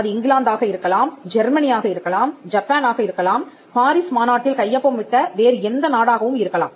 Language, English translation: Tamil, It could be England, it could be Germany, it could be Japan, it could be any other country which is a signatory to the Paris convention